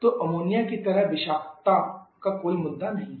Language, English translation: Hindi, So there is no issue of toxicity like in Ammonia